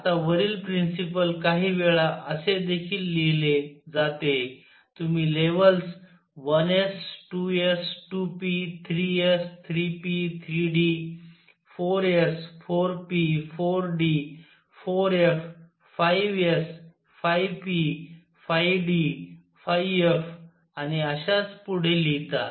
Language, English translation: Marathi, Now the above principle at times is also written like this, you write the levels 1 s, 2 s, 2 p, 3 s, 3 p, 3 d, 4 s, 4 p, 4 d, 4 f, 5 s, 5 p, 5 d, 5 f and so on